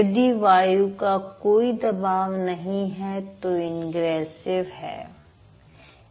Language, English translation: Hindi, If there is no flow of air, then it will be ingressive